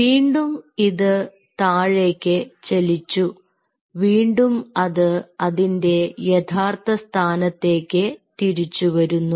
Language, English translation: Malayalam, so it came down and it comes back to its ground, original position